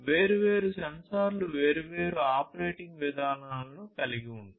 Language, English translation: Telugu, These sensors have their own different ways of operating